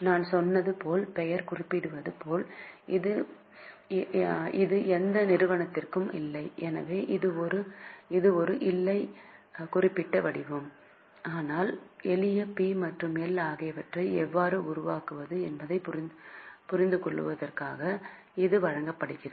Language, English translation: Tamil, As the name suggests, as I told you it's not for any company, so it's not in a particular format but it is just given for you to understand how to make a simple P&M